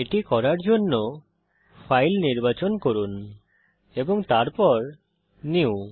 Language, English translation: Bengali, To do this Lets select on File and New